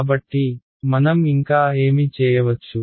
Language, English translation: Telugu, So, what further can we do this